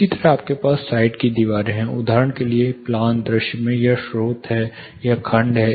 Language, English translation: Hindi, Similarly you have side walls say for example, in plan view this is the source, this is the section, and this is the section